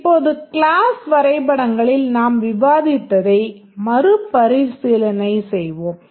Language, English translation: Tamil, Now let's just recapture what we discussed in the class diagrams